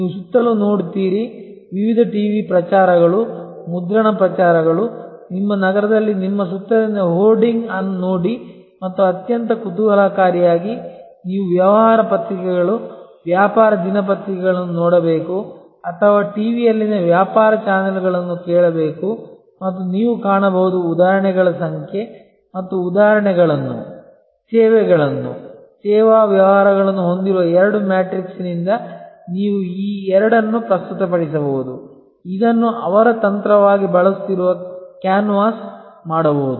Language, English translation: Kannada, You look around, look at the various TV promotions, print promotions, look at the hoarding around you in your city and most interestingly you should look at the business papers, the business dailies and or listen to the business channels on TV and you will find number of examples and you can then present this two by two matrix populated with examples, services, service businesses who are using this as their strategy can canvas